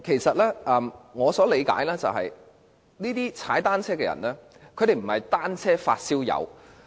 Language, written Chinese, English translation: Cantonese, 據我理解，這些騎單車人士並非單車"發燒友"。, To my understanding these cyclists are not bicycle enthusiasts